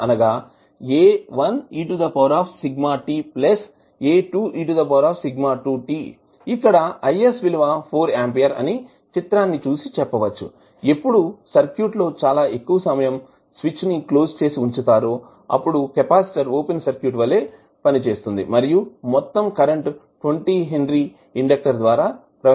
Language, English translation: Telugu, so here I s is equal to 4 this is what we can see from the figure when the circuit is the switch is closed for very long period the capacitor will be acting as a open circuit and the whole current will flow through 20 henry inductor